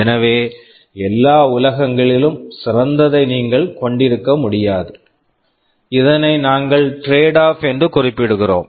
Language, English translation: Tamil, So, you cannot have best of all worlds; this is something we refer to as tradeoff